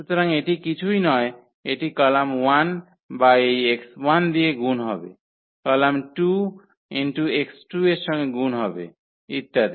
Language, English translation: Bengali, So, that is nothing but this is column 1 or will be multiplied to this x 1, the column 2 will be multiplied to x t2wo and so on